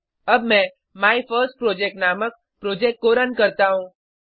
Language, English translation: Hindi, Let me run this Project named MyFirstProject